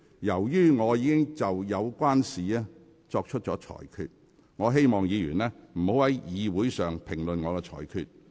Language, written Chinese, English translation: Cantonese, 由於我已就有關事項作出裁決，請議員不要在會議上評論我的裁決。, Since a ruling has been made on this matter I urge Members not to comment on my ruling